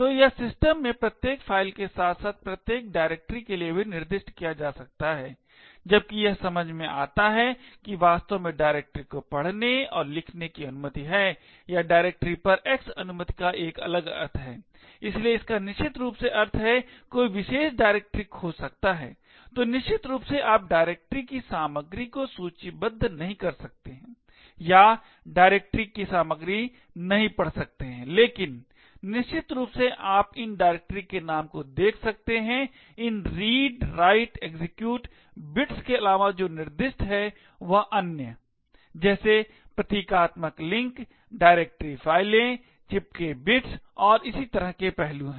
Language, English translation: Hindi, So this can be specified for each file in the system as well as each directory as well, while it makes sense to actually have a read and write a directory execute permission or X permission on the directory has a different meaning, so it essentially means that one could lookup a particular directory, so essentially you cannot list the contents of the directory or read the contents of the directory but essentially you could lookup the name of that directory, in addition to these read, write, execute bits what is specified is other aspects such as symbolic links, directory files, sticky bits and so on